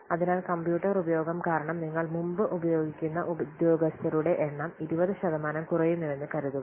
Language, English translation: Malayalam, So by this, due to the use of computer, suppose the number of personnel that you are using previously, it is reduced by 20%